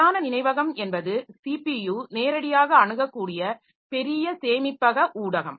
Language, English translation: Tamil, In the main memory, so this is a large storage media that the CPU can access directly